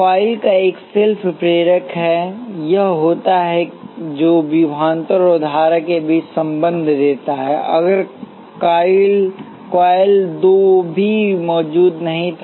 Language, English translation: Hindi, The self inductance of coil one is the inductance, it would have which gives the relationship between voltage and current; if the coil two was not even present